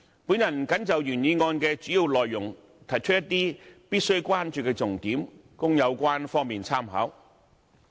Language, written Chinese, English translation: Cantonese, 我謹就原議案的主要內容提出一些必須關注的重點，供有關方面參考。, I would like to highlight some salient points that require attention concerning the major issues raised in the original motion for reference by the parties concerned